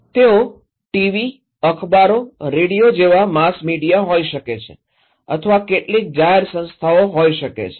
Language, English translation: Gujarati, They could be mass media like TV, newspapers, radios or could be some public institutions